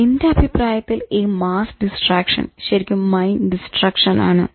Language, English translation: Malayalam, I would say this mass distraction equals mind destruction